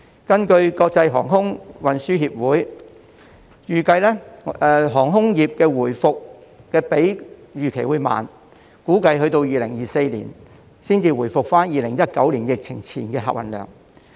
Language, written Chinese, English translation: Cantonese, 根據國際航空運輸協會預計，航空業的回復會比預期慢，估計2024年才回復至2019年疫情前的客運量。, The International Air Transport Association forecasts that aviation recovery will be slower than expected . It is estimated that the pre - COVID travel volume in 2019 will not be regained until 2024